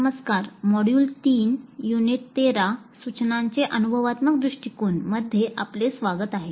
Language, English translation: Marathi, Greetings, welcome to module 3, Unit 13, Experiential Approach to Instruction